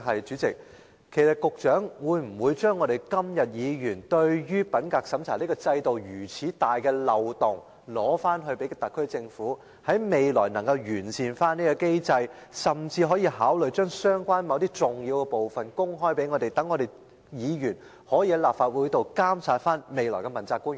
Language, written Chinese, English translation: Cantonese, 主席，我想問的是：鑒於議員今天對品格審查制度存在重大漏洞所表達的關注，局長會否要求特區政府研究未來如何完善有關機制，甚至考慮將某些相關的重要資料公開，讓議員能夠在立法會內監察未來的問責官員？, President what I want to ask is Given the concerns expressed by Members today about a major loophole in the integrity checking system will the Secretary request the SAR Government to study how to perfect the system in the future or even consider making public certain relevant and important information so that Members will be able to monitor future accountability officials in the Legislative Council?